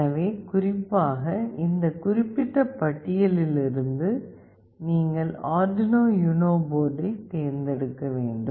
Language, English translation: Tamil, So, specifically you have to use the Arduino UNO board from this particular list